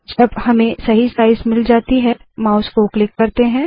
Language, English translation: Hindi, When we get the right size, let us release the mouse button